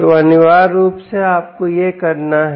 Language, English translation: Hindi, so essentially, what you have to do, you this